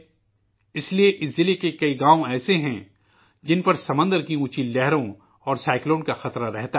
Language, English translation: Urdu, That's why there are many villages in this district, which are prone to the dangers of high tides and Cyclone